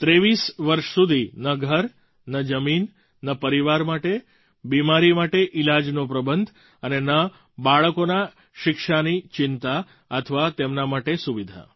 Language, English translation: Gujarati, For 23 years no home, no land, no medical treatment for their families, no education facilities for their kids